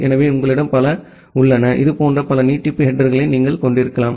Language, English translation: Tamil, So, you have multiple, you can have multiple such extension header